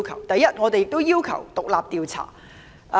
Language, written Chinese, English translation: Cantonese, 第一，我們要求進行獨立調查。, First we request an independent inquiry